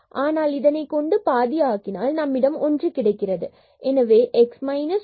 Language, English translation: Tamil, So, this will become 0 and then we have 1 over 2, again here we have 1 over 2 so 1 over 5 and y minus 1 square